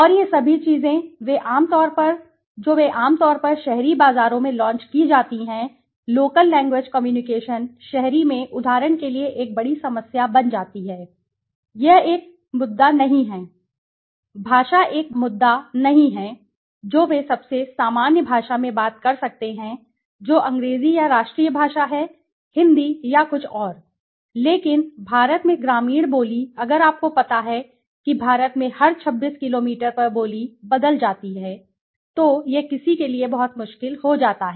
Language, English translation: Hindi, And all these things they are generally launched in the urban markets, local language communication becomes a big problem right for example in the urban this is not an issue language is not an issue they can talk in the most you know general language that is English or the national language Hindi or something, but in rural the dialect in India if you know that in India every 26 kilometers there is saying the dialect changes right now that becomes very difficult for somebody